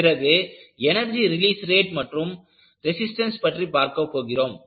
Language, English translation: Tamil, And, we will also talk about Energy Release Rate, as well as the resistance